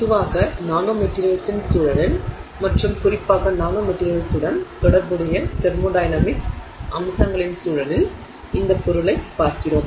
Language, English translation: Tamil, We are looking at this material in the context of nanomaterials in general and in particular in the context of thermodynamic aspects associated with nanomaterials